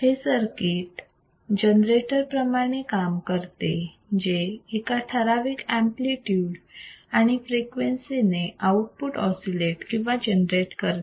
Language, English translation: Marathi, The circuit works as a generator generating the output signal, which oscillates and generates an output which oscillates with a fixed amplitude and frequency